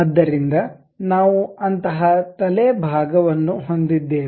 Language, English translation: Kannada, So, we have such kind of head portion